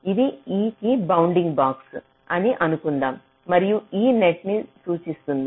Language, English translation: Telugu, suppose this is the bounding box that is represented by e